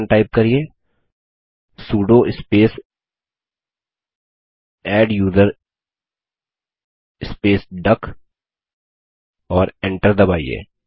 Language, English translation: Hindi, Here type the command sudo space adduser and press Enter